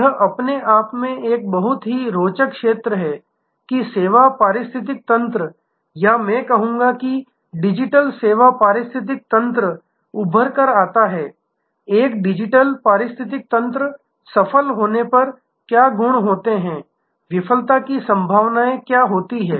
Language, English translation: Hindi, This in itself is a very, very interesting area, that how the service ecosystems or I would say digital service ecosystems emerge, what are the properties when a digital ecosystem is successful, what are the possibilities of failure one has to guard against